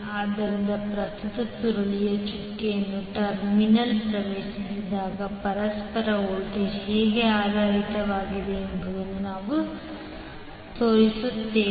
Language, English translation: Kannada, So we show when the current enters the doted terminal of the coil how the mutual voltage would be oriented